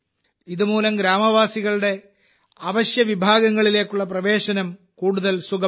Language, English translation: Malayalam, This has further improved the village people's access to essential resources